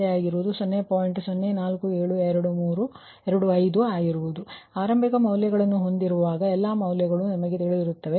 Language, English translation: Kannada, so when you, when you all, the, all, the initial value, all the values are known to you